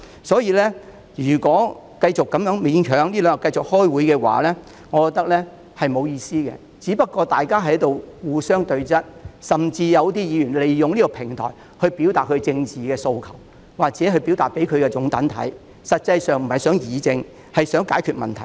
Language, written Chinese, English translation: Cantonese, 因此，我認為繼續勉強開會是沒有意思的，大家只是在互相對質，甚至有些議員會利用這個平台表達政治訴求，讓支持者看到，但他們實際上並不想議政和解決問題。, Hence I think it is meaningless for us to make a vigorous attempt to continue with the meeting for this will merely bring Members into confrontations . Certain Members may even use this as a platform to express their political aspirations before the eyes of their supporters . In fact they do not truly want to have a political debate and solve the problems